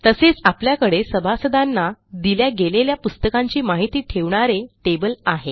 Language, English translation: Marathi, And, we also have a table to track the books issued to the members